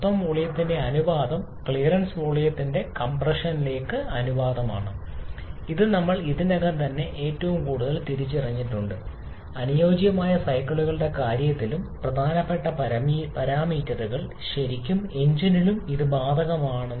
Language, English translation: Malayalam, And the ratio of total volume to the clearance volume is the compression ratio, which we have already identified as a most important parameter even in case of ideal cycles, and the same is true for really engine as well